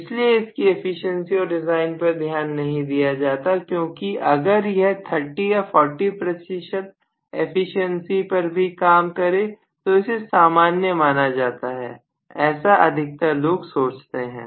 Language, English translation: Hindi, So nobody really cares too much about their efficiency and design because even if it is working at 30 percent or 40 percent efficiency it is okay, that is what people think